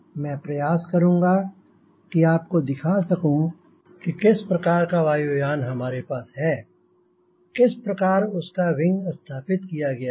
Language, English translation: Hindi, i will try to show you with what type of aircraft we have got, how this wing has been mounted